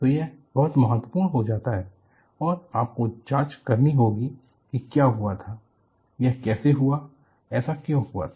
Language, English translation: Hindi, So, it becomes a very important and you have to go investigate, what happened, how this happened, why it happened